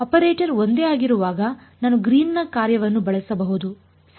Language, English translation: Kannada, When the operator is same I can use the Green’s function ok